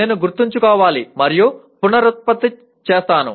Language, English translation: Telugu, I am expected to Remember and reproduce